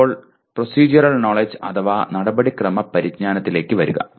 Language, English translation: Malayalam, Now come to Procedural Knowledge